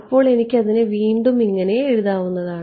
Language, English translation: Malayalam, So, I can rewrite this like this